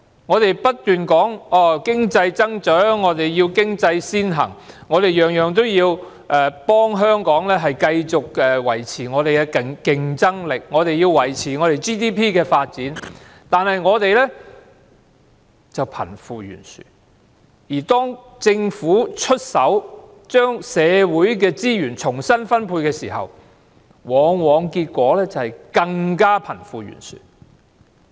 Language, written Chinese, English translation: Cantonese, 我們不斷說要為經濟增長，要經濟先行，凡事都要為香港繼續維持競爭力、維持 GDP 的發展而努力，但我們卻出現貧富懸殊問題，而當政府出手將社會資源重新分配時，結果往往是令貧富懸殊問題更嚴重。, We keep striving for economic growth giving priority to economy and trying our best to do everything with the objectives of maintaining Hong Kongs competitiveness as well as the growth in our Gross Domestic Product but we are now faced with a serious problem of the disparity between the rich and the poor . Moreover the Governments attempt to effect a redistribution of social resources has often aggravated the problem of the disparity between the rich and the poor